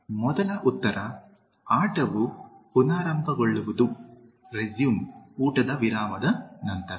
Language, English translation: Kannada, The first answer is: The game will resume after the lunch break